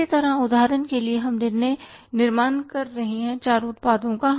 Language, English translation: Hindi, Similarly we are manufacturing for example four products